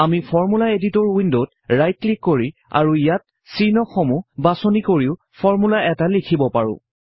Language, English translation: Assamese, We can also write a formula by right clicking on the Formula Editor window and selecting symbols here